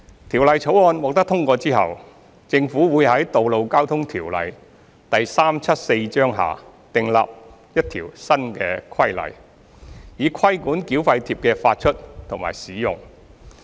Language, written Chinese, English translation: Cantonese, 《條例草案》獲通過後，政府會在《道路交通條例》下訂立一項新規例，以規管繳費貼的發出和使用。, Upon passage of the Bill the Government will make a new regulation under the Road Traffic Ordinance Cap . 374 to regulate the issue and use of toll tags